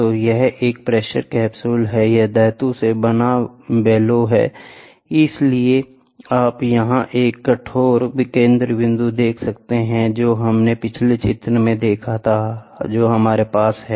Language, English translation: Hindi, So, this is a pressure capsule, this is metallic bellow so, you can see here a rigid centerpiece what we saw in the previous diagram we have it here